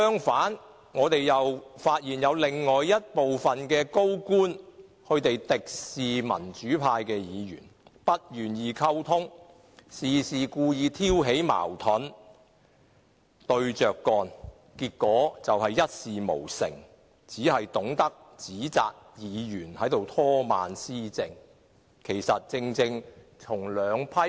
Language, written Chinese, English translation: Cantonese, 反之，我們發現另有部分高官敵視民主派議員，不願意溝通，事事故意挑起矛盾，對着幹，結果便一事無成，只顧指責議員拖慢施政。, On the contrary we notice that certain government officials were antagonistic to Members from the pro - democracy camp . They were unwilling to communicate with us and deliberately provoke conflicts . Due to this antagonistic attitude nothing could be achieved in the end